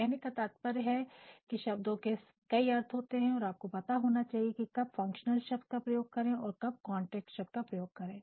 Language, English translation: Hindi, I mean, words have so many meanings and you know you must understand that when you are using either functional word or a content word